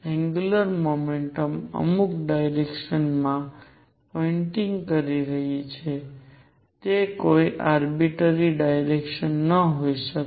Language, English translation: Gujarati, So that the angular momentum is pointing in certain direction it cannot be any arbitrary direction